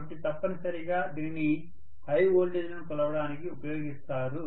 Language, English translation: Telugu, So essentially this is for measuring high voltages, right